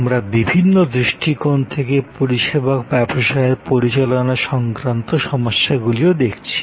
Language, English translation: Bengali, We are looking at the service business management issues from various perspectives